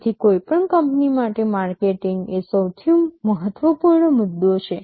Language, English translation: Gujarati, So, marketing is the most important issue for any company